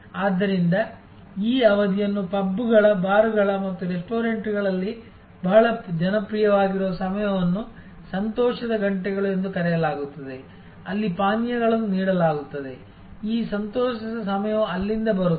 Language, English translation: Kannada, So, this is the that is why the period is called happy hours very popular at pubs bars and a restaurants, where drinks are served; that is where this being happy hours comes from